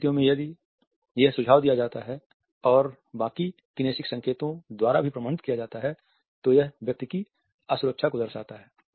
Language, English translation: Hindi, In these situations if it is suggested and authenticated by the rest of the kinesics signals, then it reveals the insecurity of a person